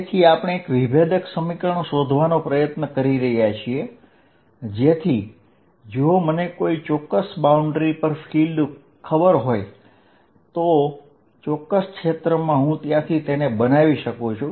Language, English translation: Gujarati, So, what we are doing is we are trying to find a differential equation, so that if I know field on a certain boundary, in a certain region I can build it up from there